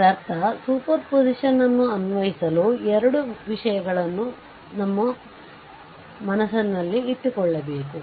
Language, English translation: Kannada, So, that means, your; to apply the superposition 2 things must kept in our mind right